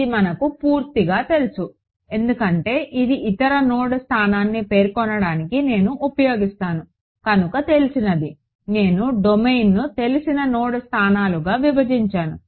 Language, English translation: Telugu, This guy is fully known because all that I need to know to specify this other node location, which are known because I broke up the domain into known node locations